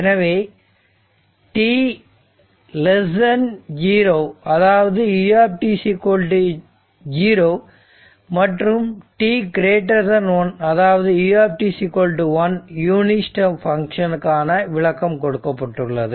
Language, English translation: Tamil, And t less than t greater than your 0 that your what you call that u t is equal to 1 that unit step function